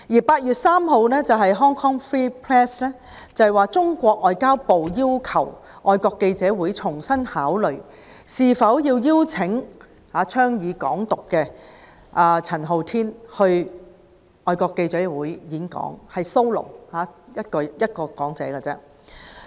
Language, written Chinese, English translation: Cantonese, 8月3日 ，Hong Kong Free Press 報道，中國外交部要求香港外國記者會重新考慮是否邀請倡議"港獨"的陳浩天到外國記者會單獨演講。, On 3 August Hong Kong Free Press reported that the Ministry of Foreign Affairs of China MFA had asked the Foreign Correspondents Club Hong Kong FCC to reconsider whether to invite Hong Kong independence activist Andy CHAN to give a solo speech at FCC